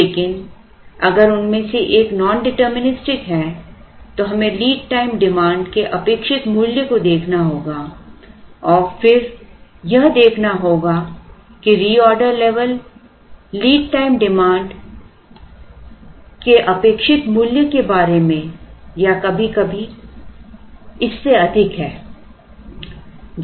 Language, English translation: Hindi, But if one of them is nondeterministic, then we have to look at expected value of the lead time demand and then try and see whether the reorder level is about the expected value of the lead time demand or sometimes more than that